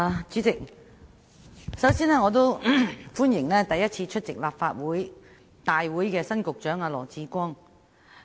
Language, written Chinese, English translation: Cantonese, 主席，我首先歡迎首次出席立法會會議的新任局長羅致光。, President first of all I welcome new Secretary Dr LAW Chi - kwong to his first Council meeting